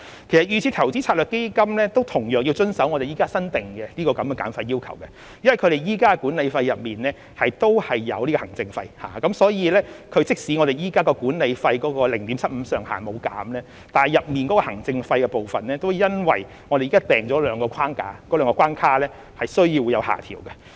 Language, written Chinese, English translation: Cantonese, 其實，預設投資策略成分基金同樣需要遵守現時新訂立的減費要求，因為其現時的管理費當中亦包括行政費，所以即使現時 0.75% 的管理費上限沒有減少，但其中行政費的部分也因現時訂立的兩個框架、兩個關卡而需要有所下調。, In fact DIS constituent funds also need to comply with the new fee reduction requirements for their current management fees also include administration fees . Therefore even though the current management fee cap of 0.75 % has not been lowered the administration fee component has to be adjusted downward given the two frameworks or two barriers imposed currently